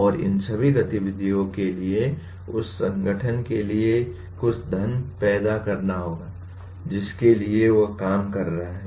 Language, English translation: Hindi, And all these activities will have to lead to some wealth generation for the organization for which he is working